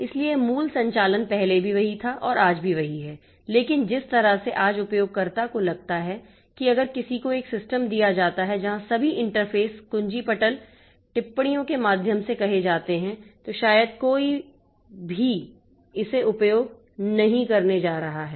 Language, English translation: Hindi, So, basic operations were there as well as they are now but the way that the user feels that today if somebody is given a system where all the interfaces are by means of this by means of say this keyboard commands then perhaps nobody is going to use it